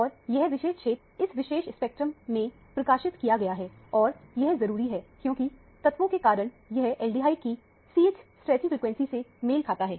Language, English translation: Hindi, And a particular area is being highlighted in this particular spectrum and this is essentially because of the fact that this corresponds to the CH stretching frequency of aldehyde